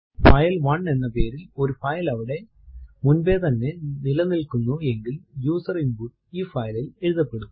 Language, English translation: Malayalam, If a file by name say file1 already exist then the user input will be overwritten on this file